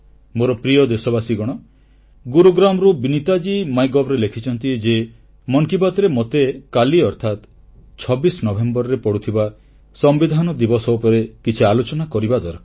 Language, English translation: Odia, My dear countrymen, Vineeta ji from Gurugram has posted on MyGov that in Mann Ki Baat I should talk about the "Constitution Day" which falls on the26th November